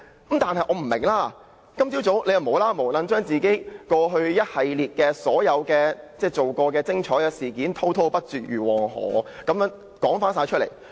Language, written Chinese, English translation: Cantonese, 不過，我不明白他今早為何無故將自己過去所做的一系列"精彩"事件滔滔不絕如黃河般說出來。, Still I do not understand why he keeps recounting the series of great things he has done in the past for no apparent reason like the Yellow River flowing relentlessly